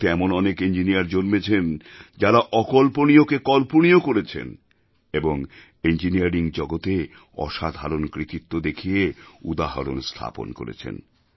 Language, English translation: Bengali, There have been several engineers in India who made the unimaginable possible and presented such marvels of engineering before the world